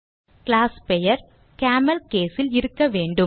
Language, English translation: Tamil, * The class name should be in CamelCase